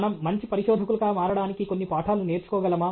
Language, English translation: Telugu, Can we learn some lessons, so that we can become better researchers